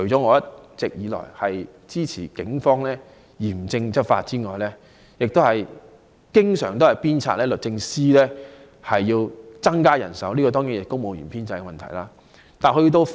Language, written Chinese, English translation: Cantonese, 我一直支持警方嚴正執法，亦經常鞭策律政司增加人手，這當然涉及公務員的編制問題。, I have all along supported the Police in strictly enforcing the laws and I often urge DoJ to increase its manpower . This certainly relates to the establishment of the civil service